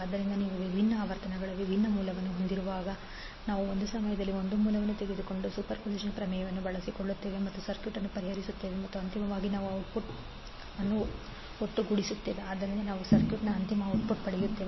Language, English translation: Kannada, So when you have different sources operating at different frequencies we will utilize the superposition theorem by taking one source at a time and solve the circuit and finally we sum up the output so that we get the final output of the circuit